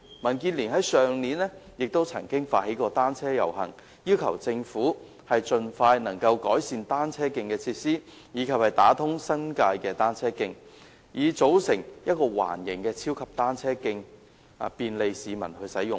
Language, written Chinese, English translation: Cantonese, 民建聯去年曾發起單車遊行，要求政府盡快改善單車徑的設施，以及打通新界的單車徑，以組成一條環形的超級單車徑，便利市民使用。, DAB organized a bicycle procession last year to call on the Government to expeditiously improve the facilities of cycle tracks and link up the cycle tracks in the New Territories to form a circular super cycle track for the convenience of the public